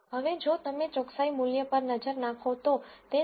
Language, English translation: Gujarati, Now, if you look at the accuracy value it is 0